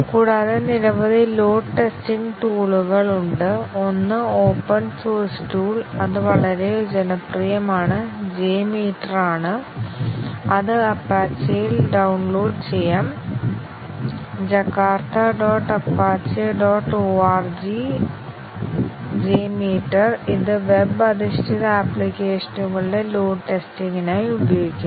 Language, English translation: Malayalam, And, there are several load testing tools; one, open source tool, which is very popular is the J meter, which can be downloaded at the apache; jakarta dot apache dot org/ jmeter, which is used for load testing of web based applications